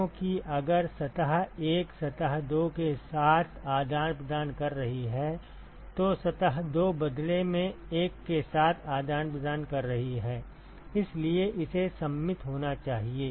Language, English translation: Hindi, Because if surface 1 is exchanging with surface 2, surface 2 is in turn exchanging with 1 so it has to be symmetric